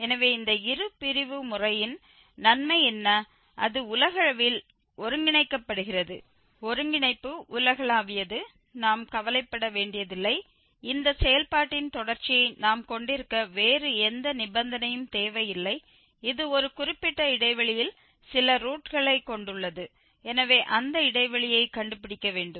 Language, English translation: Tamil, So, what is the advantage of this bisection method that it is globally convergent, the convergence is global we do not have to worry, we do not need any other condition then to have this continuity of the function and which has some root in a given interval so we have to find that interval